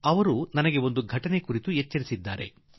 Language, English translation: Kannada, She has made me aware of an incident